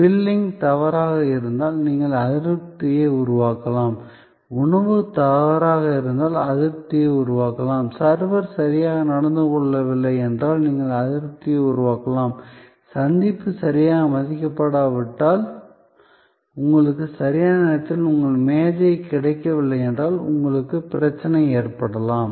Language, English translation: Tamil, So, you can create dissatisfaction if the billing is wrong, you can create dissatisfaction if the food is wrong, you can create dissatisfaction if the server did not behave well, you can have problem if the appointment is not properly honoured, you did not get your table on time and so on and so on